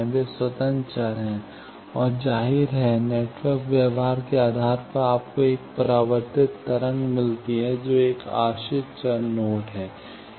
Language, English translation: Hindi, They are the independent variables; and obviously, depending on the networks behavior, you get a reflected wave, that is a dependent variable node